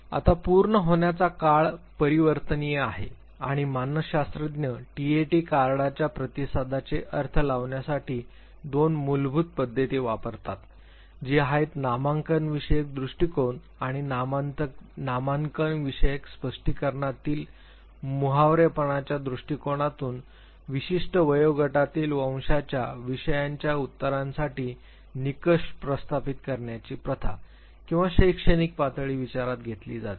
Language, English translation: Marathi, Now, the completion time is variable and there are two basic approaches that psychologists take in terms of interpreting the responses to TAT cards the nomothetic approach and the idiographic approach in the nomothetic interpretation the practice of establishing norms for answers for subjects of specific age gender race or educational level is taken into account